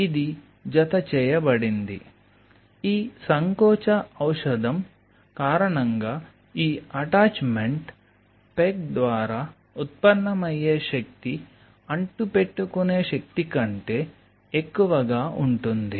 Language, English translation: Telugu, because of this contraction lotion out here, the force generated by this attachment peg is higher than the adhering force